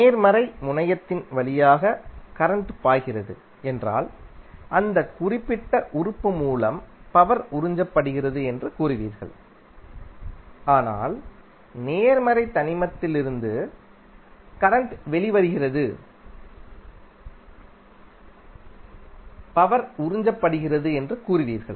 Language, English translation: Tamil, If the current is flowing inside the element then the inside the element through the positive terminal you will say that power is being absorbed by that particular element